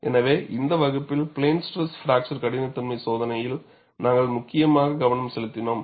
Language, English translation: Tamil, So, in this class, we essentially focused on plane stress fracture toughness testing